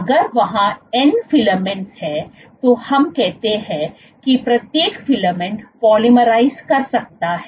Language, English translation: Hindi, If there are n filaments let us say, n filaments then each filament can polymerize